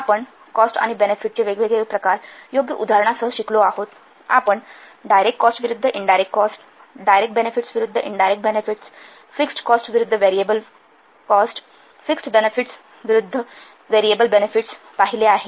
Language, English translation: Marathi, We have learnt the different types of costs and benefits with suitable examples such as we have seen this direct cost versus indirect cost, direct benefits versus indirect benefits, fixed cost versus variable cost, fixed benefits versus variable benefits